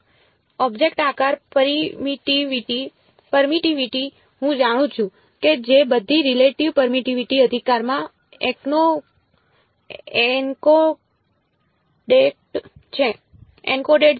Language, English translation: Gujarati, Object shape, permittivity; I know which is all encoded into the relative permittivity right